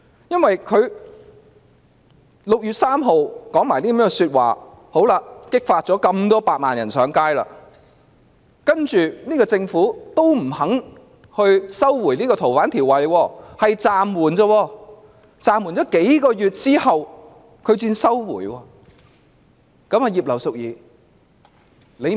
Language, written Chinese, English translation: Cantonese, 因為她在6月3日說了這些話後，便激發了百萬人上街；然後政府仍然不願意收回《逃犯條例》修訂，只說會暫緩，是在暫緩數個月後才撤回。, It was because those remarks made by her on 3 June have triggered 1 million people to take to the street . But the Government refused to withdraw the amendment to FOO and claimed that it would only be suspended . The Bill was only withdrawn after it was suspended for several months